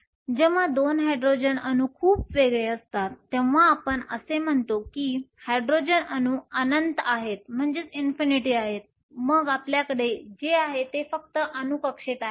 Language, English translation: Marathi, When the 2 Hydrogen atoms are far apart typically we say that the Hydrogen atoms are at infinity then what we have is simply the atomic orbitals